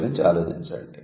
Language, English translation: Telugu, Have a look at it